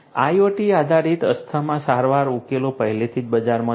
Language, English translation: Gujarati, IoT based asthma treatment solutions are already in the market